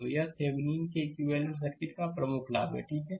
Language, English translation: Hindi, So, this is the advantage major advantage of Thevenin’s equivalent circuit, ok